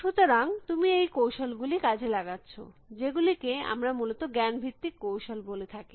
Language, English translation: Bengali, So, you are exploiting these techniques, which we call as knowledge base techniques essentially